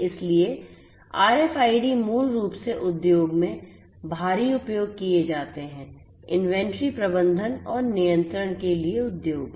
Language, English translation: Hindi, So, RFIDs basically are used heavily in the industry; in the industry for inventory management and control